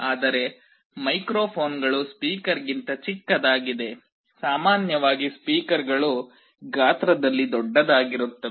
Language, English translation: Kannada, But, microphones are much smaller than a speaker, typically speakers are large in size